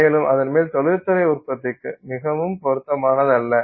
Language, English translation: Tamil, This is not ideally suited for industrial production